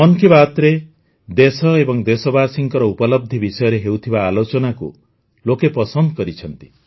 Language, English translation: Odia, People have appreciated the fact that in 'Mann Ki Baat' only the achievements of the country and the countrymen are discussed